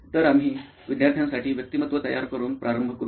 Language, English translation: Marathi, So we will start off by creating the persona for the student